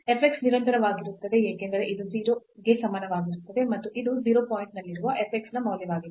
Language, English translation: Kannada, So, here the f x is continuous because this is equal to 0 and this is the value of the f x at 0 0 point